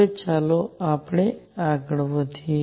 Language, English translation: Gujarati, Now, let us go further